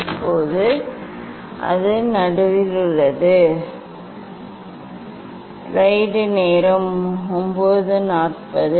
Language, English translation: Tamil, Now, it is in middle